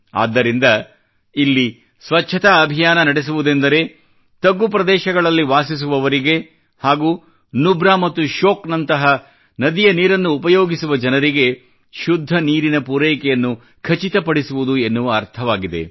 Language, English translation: Kannada, Therefore, running a cleanliness campaign here means ensuring clean water for those who live in lowlying areas and also use the water of rivers like Nubra and Shyok